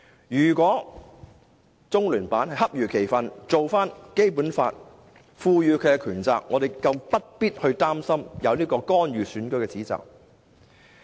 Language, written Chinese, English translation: Cantonese, 如果中聯辦恰如其分地做到《基本法》賦予的權責，我們更不必擔心有干預選舉的指責。, If LOCPG appropriately exercises its authority and carries out its responsibilities under the Basic Law we need not worry about its intervention in elections